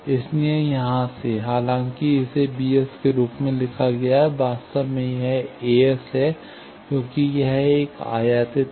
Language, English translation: Hindi, So, from here, though it is written as b s, actually, it is a s, because, it is an incident thing